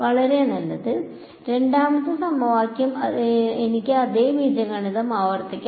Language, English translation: Malayalam, Very good I can repeat the same algebra for the second equation also right